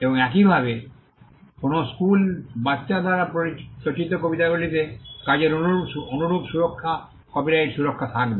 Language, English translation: Bengali, And similarly, poems written by an school kid would have similar protection copyright protection over the work